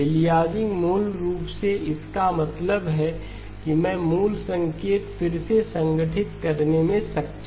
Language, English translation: Hindi, Aliasing basically means that I am not able to reconstruct the original signal